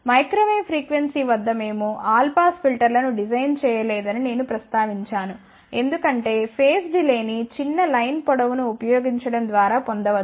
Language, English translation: Telugu, And I did mention that we do not design all pass filter at microwave frequency, because the phase delay can be obtained simply by using a smaller line length